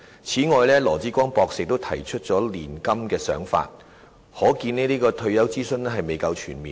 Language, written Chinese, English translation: Cantonese, 此外，羅致光博士亦提出了"年金"的想法，可見這次退休諮詢未夠全面。, In addition Dr LAW Chi - kwong also proposed the idea of annuity payment so it can be seen that this public engagement exercise on retirement protection is not sufficiently comprehensive